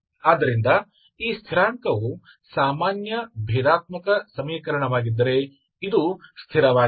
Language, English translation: Kannada, So this constant if it is a ordinary differential equation this is a constant any constant time is fine